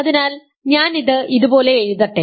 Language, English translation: Malayalam, So, let me write it like this, formally write it like this